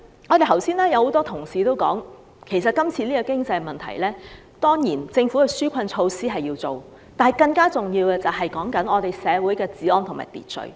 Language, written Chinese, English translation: Cantonese, 剛才有很多同事也說，面對現時的經濟問題，政府當然要推出紓困措施，但更重要的是維持社會的治安和秩序。, Just now many Honourable colleagues have also said that in the face of the current economic problems the Government must introduce relief measures but it is more important to maintain law and order in society